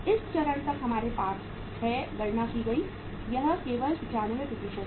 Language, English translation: Hindi, So up till this stage we have calculated, this is only 95%